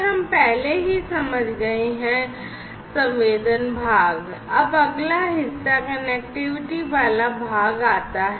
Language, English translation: Hindi, So, we have already understood the sensing part now next comes the connectivity part